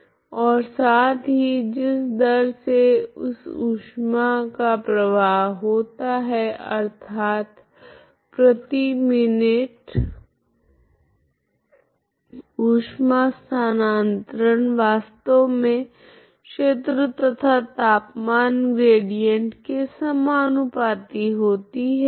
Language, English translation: Hindi, And also the rate at which this heat flows, okay so rate of rate of heat flow that is heat transfer per minute actually proportional to the area and area and temperature gradient, what is this